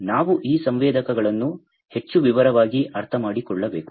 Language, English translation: Kannada, So, we need to understand these sensors, in more detail